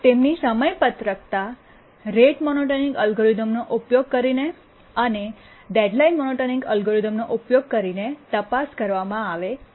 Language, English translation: Gujarati, Now we need to check for their schedulability using the rate monotonic algorithm and the deadline monotonic algorithm